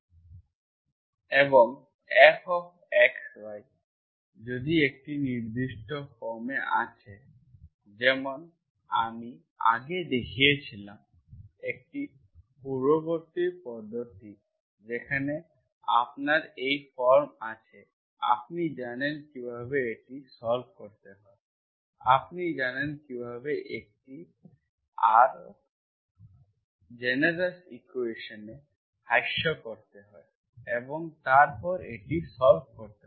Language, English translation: Bengali, And some form, when if F of x,y is having certain form, like I showed earlier, earlier method where you have this form, you know how to solve, you know how to reduce them into a more generous equation and then solve it